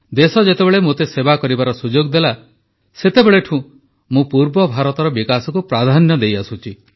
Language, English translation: Odia, Ever since the country offered me the opportunity to serve, we have accorded priority to the development of eastern India